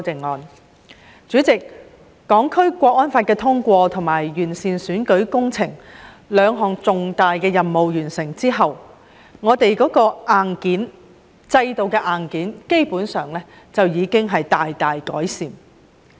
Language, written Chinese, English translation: Cantonese, 代理主席，在完成通過《香港國安法》和完善選舉制度這兩項重大任務後，我們制度的硬件基本上已經大大改善。, Deputy President upon completion of the two important tasks of passing the National Security Law and improving the electoral system the hardware of our system has basically been improved significantly